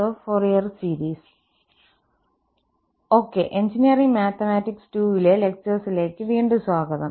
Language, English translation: Malayalam, Okay, welcome back to lectures on Engineering Mathematics II